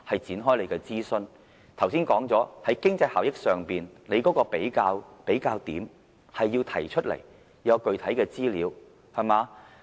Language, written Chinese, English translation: Cantonese, 剛才指出了，在經濟效益上，它要提出一個比較點，要提供具體的資料。, As pointed out earlier in relation to economic efficiency the Government must provide a benchmark of comparison and concrete statistics